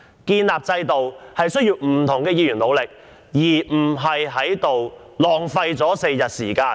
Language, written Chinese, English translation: Cantonese, 建立一套制度需要不同議員的努力，並非在此浪費4天時間。, It takes the efforts of all Members to build up a system rather than wasting four days in this Chamber